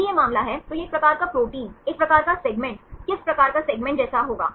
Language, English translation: Hindi, If this is the case, this will resemble a type of protein, a type of segment, which type of segment